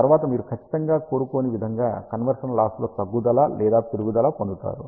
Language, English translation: Telugu, After that you get a decrease or increase in the conversion loss which is certainly not desired